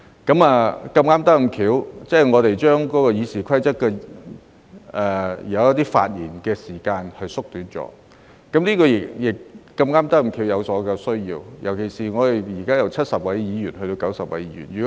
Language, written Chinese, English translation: Cantonese, 事有湊巧，當我們這次修改《議事規則》將一些發言時間縮短，我們正好有這個需要，尤其我們將由現在的70位議員增至90位議員。, By coincidence this time when we amend RoP to shorten the speaking time limits of certain sessions we happen to have such a need especially when this Council will see an increase in the number of Members from 70 at present to 90